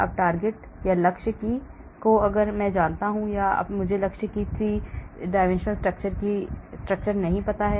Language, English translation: Hindi, now I know the 3D structure of the target, or I do not know the 3D structure of the target